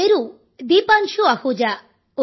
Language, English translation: Telugu, My name is Deepanshu Ahuja